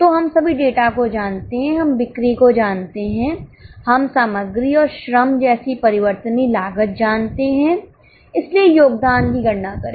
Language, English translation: Hindi, Now, in the B part of the data, we know sales, we know the variable costs like material and labour, so remember the structure